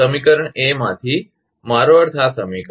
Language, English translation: Gujarati, From equation A, I mean this equation